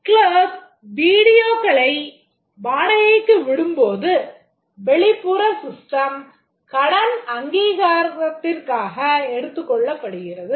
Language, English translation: Tamil, The clerk, when he rents the videos, the help of an external system is taken for credit authorization